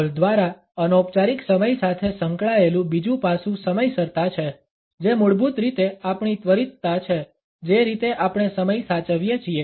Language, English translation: Gujarati, Another aspect which is associated by Hall with informal time is punctuality; which is basically our promptness associated with the way we keep time